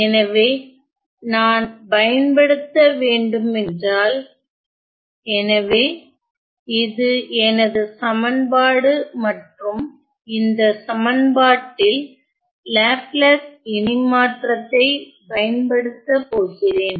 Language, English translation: Tamil, So, if I were to apply, so, this is my equation and I am going to apply the Laplace transform on this equation